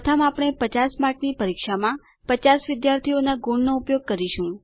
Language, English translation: Gujarati, First we will use the marks of 50 students in a 50 mark test